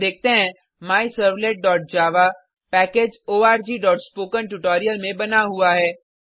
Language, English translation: Hindi, We see MyServlet.java is created in the package org.spokentutorial